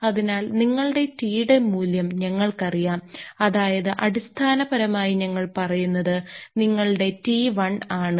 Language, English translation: Malayalam, So, we know the value of your T that is your T 1 is basically what we say that